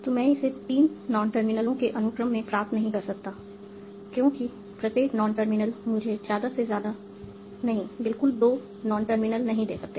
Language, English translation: Hindi, I cannot derive it as a sequence of three non terminals, because each individual non terminal can give me at most, not at most, exactly to non terminals